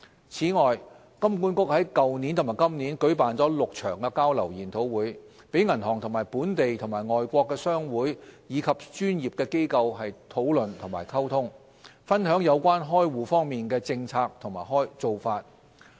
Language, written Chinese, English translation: Cantonese, 此外，金管局在去年和今年舉辦了6場交流研討會，讓銀行與本地和外國商會及專業機構討論和溝通，分享有關開戶方面的政策和做法。, Furthermore HKMA hosted a total of six sharing sessions this year and last year for banks to engage in direct exchanges with local and foreign chambers of commerce as well as professional organizations on account opening policies and practices